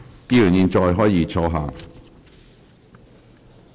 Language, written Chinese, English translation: Cantonese, 議員現在可以坐下。, Members will now please be seated